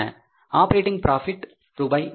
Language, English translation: Tamil, Operating profit is 45,000 rupees